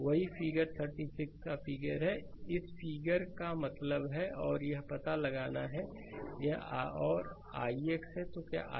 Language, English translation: Hindi, So, same figure that figure 36 means this figure same figure, and you have to find out and this is also your i x right